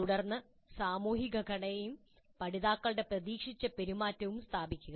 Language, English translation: Malayalam, Then establish the social structure and the expected behavior of the learners